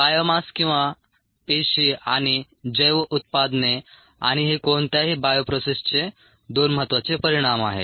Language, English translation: Marathi, biomass, or cells and bio products, and these are the two important outcomes of any bio process